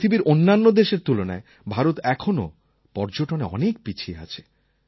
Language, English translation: Bengali, India lags far behind in tourism when compared to the world